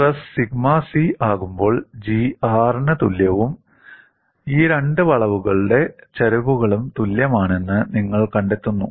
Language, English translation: Malayalam, When the stress becomes sigma c, you find G equal to R as well as the slopes of these two curves are equal